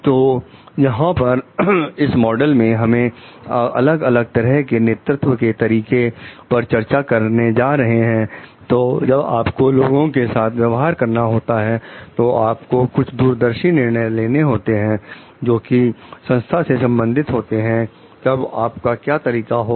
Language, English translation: Hindi, So, here in this model, we are discussing the different styles of leadership, so that when you have to go for dealing with the people, you have to go for taking some visionary decision about the organization, then what could be your styles